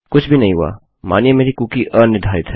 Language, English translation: Hindi, Nothing has happened presuming my cookie is unset